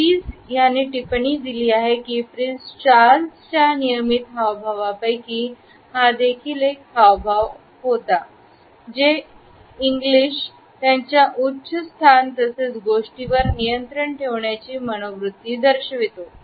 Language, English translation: Marathi, Pease has commented that it is also one of the regular gestures of Prince Charles, which indicates his superior position as well as the attitude that he is in control of things